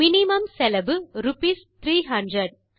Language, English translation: Tamil, The minimum cost is rupees 300